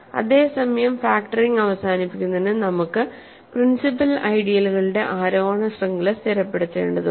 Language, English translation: Malayalam, Whereas, for factoring to terminate we only need that every ascending chain of principal ideals to stabilize